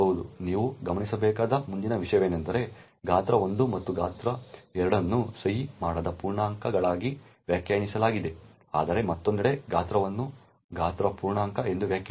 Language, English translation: Kannada, The next thing you would notice is that size 1 and size 2 is defined as unsigned integers while on the other hand size is defined as a size integer